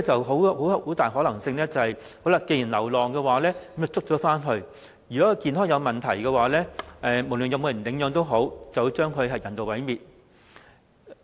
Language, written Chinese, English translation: Cantonese, 很大可能是，先將流浪動物捉回去，看是否有人領養，如果動物健康有問題，便將之人道毀滅。, It is most likely that AFCD will trap the stray animals first and see if anyone will adopt them and if the animal has health issues it will be euthanized